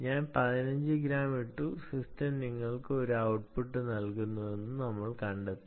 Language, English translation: Malayalam, ok, i put fifteen grams and we found that the system is giving you an output